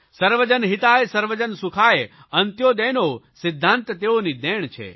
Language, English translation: Gujarati, 'Sarvajan Hitay Sarvajan Sukhay', the principle of ANTYODAY these are his gifts to us